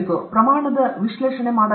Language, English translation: Kannada, Can we do scale analysis